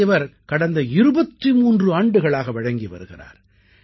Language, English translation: Tamil, ' He has been presenting it for the last 23 years